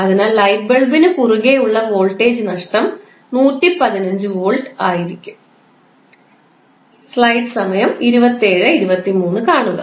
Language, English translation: Malayalam, So, voltage drop across the light bulb would come out to be across 115 volt